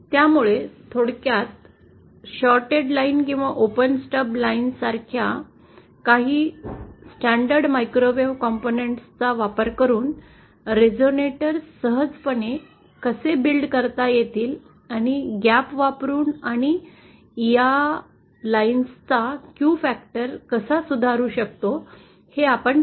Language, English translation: Marathi, So, in summary, we saw how resonators can be easily built using some standard microwave components like shorted lines or open stub lines and how we can improve the Q factor of these lines using a gap